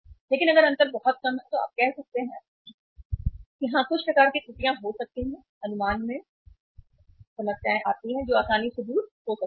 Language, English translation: Hindi, But if the difference is too low then you can say that yes there can be some kind of errors, problems in estimation which can be easily taken off